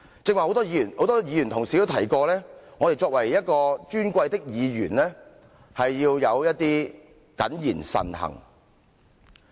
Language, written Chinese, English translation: Cantonese, 剛才很多議員同事提到，我們作為一位尊貴的議員，要謹言慎行。, Many Members have reminded that we honourable legislators should speak and act discreetly